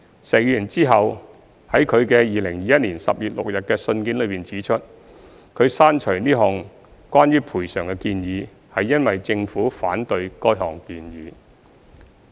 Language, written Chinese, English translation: Cantonese, 石議員之後在其2021年10月6日的信件中指出，他刪除此項關於賠償的建議，是因為政府反對該項建議。, Mr SHEK later stated in his letter dated 6 October 2021 that he deleted this proposal on compensation because the Government was opposed to it